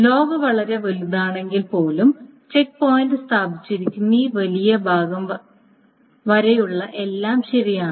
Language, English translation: Malayalam, So even if the log is very large, everything up to this larger part of this thing where the checkpoint has been taken is correct